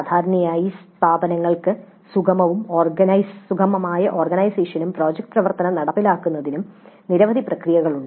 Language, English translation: Malayalam, And usually the institutes have several processes for smooth organization and implementation of project activity